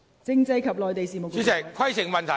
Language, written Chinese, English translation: Cantonese, 政制及內地事務局局長，請作答。, Secretary for Constitutional and Mainland Affairs please answer